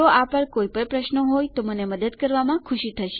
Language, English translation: Gujarati, If you have any questions on this Ill be more than happy to help